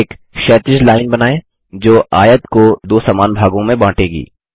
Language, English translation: Hindi, Draw a horizontal line that will divide the rectangle into two equal halves